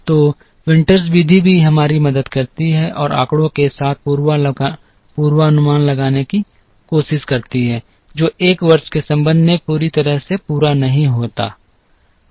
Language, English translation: Hindi, So Winters method also helps us and trying to do the forecast with data which is not fully complete with respect to a year